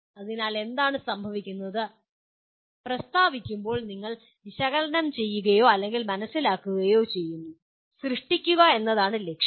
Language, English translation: Malayalam, So what happens is as the statement goes you are looking at analyzing or maybe understanding, and the purpose is to create